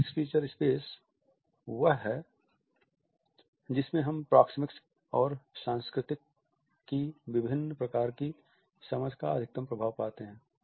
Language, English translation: Hindi, The semi fixed feature space is the one in which we find the maximum impact of different types of understanding of proxemics and culture